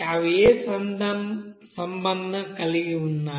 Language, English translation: Telugu, And how they are related